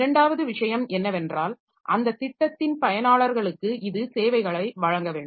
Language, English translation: Tamil, Second thing is that it should provide services to the users of those programs